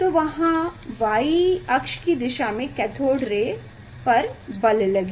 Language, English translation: Hindi, there will be force on the cathode ray along the y axis